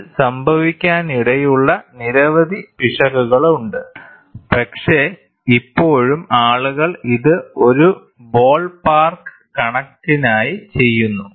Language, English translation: Malayalam, There are number of possible errors which can happen in this, but still people do it for a ballpark figure